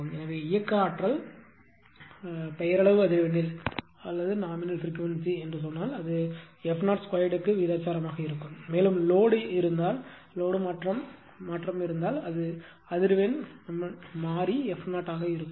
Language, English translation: Tamil, So, if kinetic energy say at nominal frequency this is proportional to f 0 square, and if load there is change in load right; that means, the frequency has changed and was f f 0